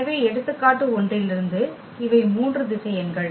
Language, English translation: Tamil, So, these were the three vectors from example 1